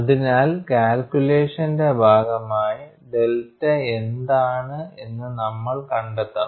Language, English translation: Malayalam, So, as part of the calculation we will have to find out, what is delta